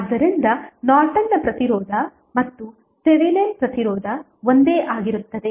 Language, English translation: Kannada, So, Norton's resistance and Thevenin resistance would be same